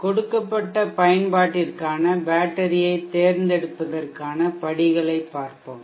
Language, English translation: Tamil, Let us now go through these steps for selecting the battery for a given application